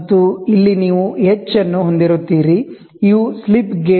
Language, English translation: Kannada, And here you will have h, so these are nothing but slip gauge slip gauges